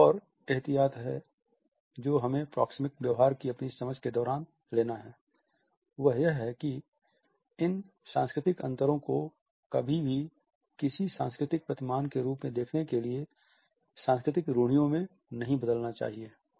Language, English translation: Hindi, Another precaution which we have to take during our understanding of the proxemic behavior is that these cultural differences should never be turned into cultural stereotypes to look down upon any cultural norm